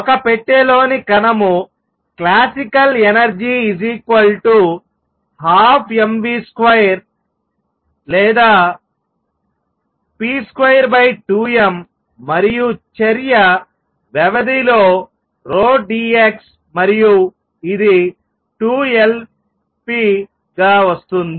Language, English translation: Telugu, Particle in a box the energy classically is one half m v square or also p square over 2 m, and the action is p d x over the entire period and this comes out to be 2 Lp